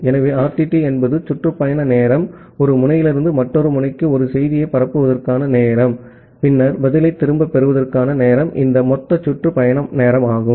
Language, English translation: Tamil, So, RTT is the round trip time, the time to propagate a message from one node to another node and then getting back the reply, this total round trip time